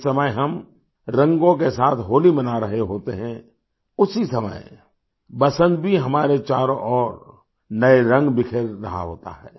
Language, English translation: Hindi, When we are celebrating Holi with colors, at the same time, even spring spreads new colours all around us